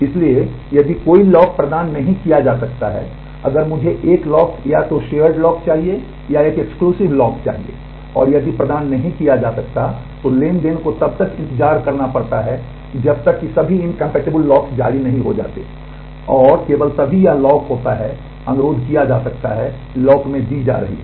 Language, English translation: Hindi, So, if a lock cannot be granted that if I want a lock either a shared lock, or an exclusive lock and if it cannot be granted, then the transaction has to wait till the all incompatible locks have been released and, only then this lock can be requested lock in being granted